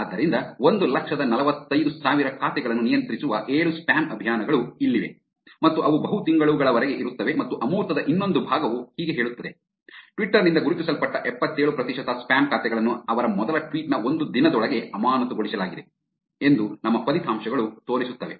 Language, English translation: Kannada, So, here it is 7 spam campaigns controlling 145000 accounts and they persists for multiple months and the another part of the abstract reads as, our results show that 77 percent of spam accounts identified by Twitter are suspended within a day of their first tweet